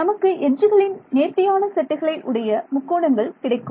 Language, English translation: Tamil, So, it will align the triangles to be in such a way that you can get a nice smooth set of edges